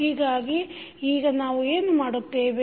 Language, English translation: Kannada, So, now what we will do